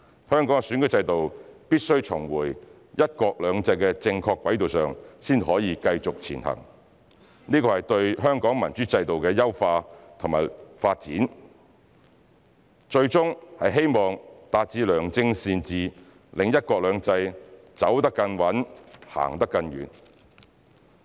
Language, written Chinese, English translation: Cantonese, 香港的選舉制度必須重回"一國兩制"的正確軌道上才可繼續前行，這是對香港民主制度的優化及民主制度的發展，最終是希望達致良政善治，讓"一國兩制"走得更穩、行得更遠。, The electoral system of Hong Kong must return to the right track of one country two systems before it can develop further . This will enhance and promote the democratic system of Hong Kong with the ultimate hope of achieving good governance so that one country two systems can be implemented in a steadfast and successful manner